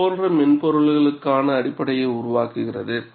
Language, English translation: Tamil, It forms the basis, for such softwares